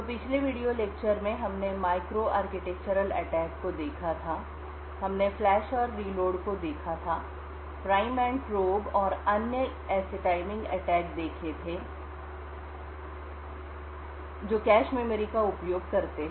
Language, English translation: Hindi, So, in the previous video lectures we had looked at micro architectural attacks, we had looked at flush and reload, the prime and probe and other such timing attach which uses the cache memory